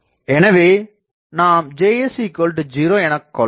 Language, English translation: Tamil, So, that is why I can put that Js is 0